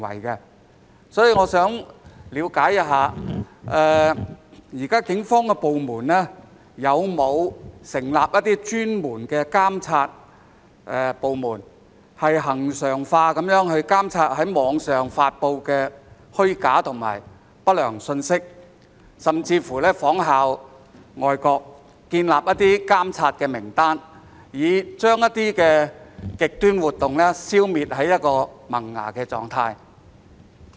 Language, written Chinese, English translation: Cantonese, 就此，我想了解，現時警方有否成立專門的監察部門，恆常地監察網上發布的虛假和不良信息，甚或仿效外國建立監察名單，以將極端活動消滅於萌芽狀態？, In this connection I have a question Have the Police set up a designated unit to regularly monitor fake and unwholesome messages on the Internet or drawn up a monitoring list by following the practice of foreign countries to nip extreme activities in the bud?